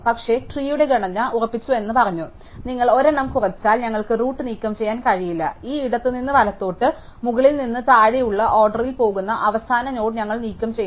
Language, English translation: Malayalam, But, we said that the structure of the tree is fixed, if you reduced by one we cannot remove the root, we must remove the last node going on this left to right top to bottom order